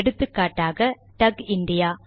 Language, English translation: Tamil, For example, contact TUG India